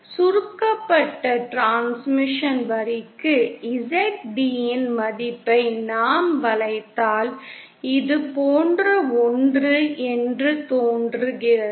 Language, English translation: Tamil, If we plot a curve the value of Zd for the shorted transmission line, it appears to be something like this